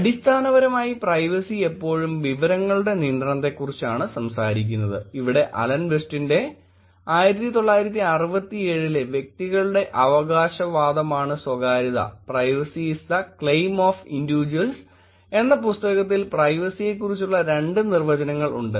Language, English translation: Malayalam, Fundamentally privacy is been always talked about control over information, here are two definitions of Alan Westin actually tried defining in his book in a ‘Privacy and Freedom’ in 1967